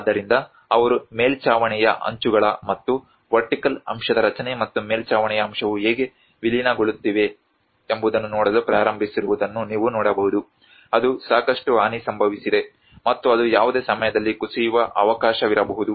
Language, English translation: Kannada, \ \ \ So, now you can see that they have started looking at how the edges of the roof and the structure of the vertical aspect and the roof aspect are merging that is a lot of damage have occurred, and there might be a chance that it might collapse at any time